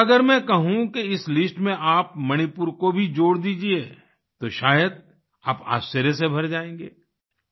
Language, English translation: Hindi, But if I ask you to add the name of Manipur too to this list you will probably be filled with surprise